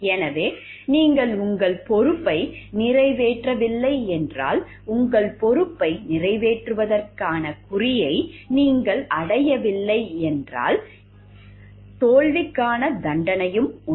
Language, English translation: Tamil, So, if you are not meeting up your responsibility, you are not up to the mark for meeting up your responsibility there is a consequence penalty off for failure also